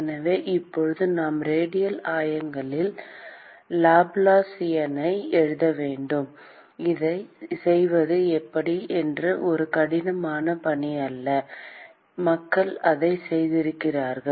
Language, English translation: Tamil, So, now, we need to write the Laplacian in the radial coordinates; and that is not a difficult task to do, people have worked it out